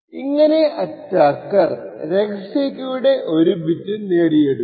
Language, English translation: Malayalam, With this way the attacker would obtain 1 bit of the secret key